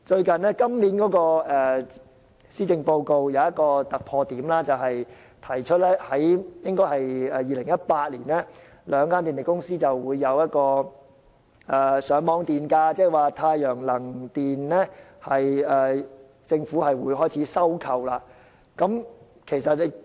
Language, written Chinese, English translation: Cantonese, 今年的施政報告有一個突破點，提出在2018年公布兩間電力公司的上網電價，政府會開始收購太陽能發電所得電力。, The Policy Address this year has a breakthrough point namely the proposed announcement of the Feed - in Tariff of the two power companies in 2018 and the Government will start acquiring electricity generated from solar energy